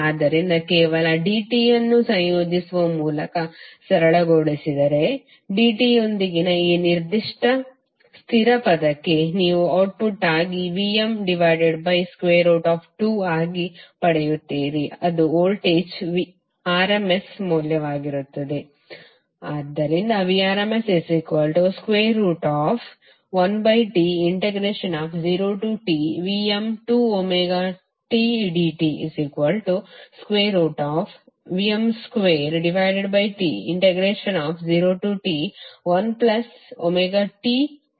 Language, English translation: Kannada, So if you simplify just by integrating dt this particular constant term with dt you will get the output as Vm by root 2